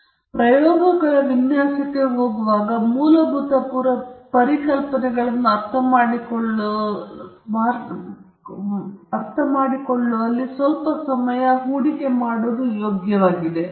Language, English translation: Kannada, So before we jump into the design of experiments, it is really worthwhile to invest some time in understanding the basic concepts